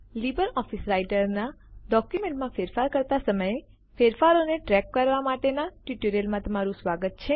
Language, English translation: Gujarati, Welcome to the tutorial on LibreOffice Writer Track changes while Editing a document